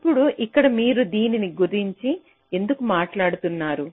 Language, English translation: Telugu, now, now here why you were talking about this